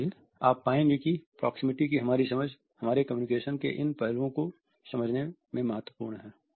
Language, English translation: Hindi, So, you would find that our understanding of proximity is significant in understanding these aspects of our communication